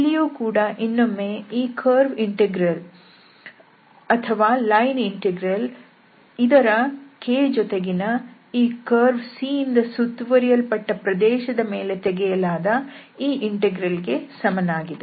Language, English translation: Kannada, So again this curve integer or the lining integer is equal to this curve and dot product with K and this integral has to be done over the region bounded by or enclosed by this curve C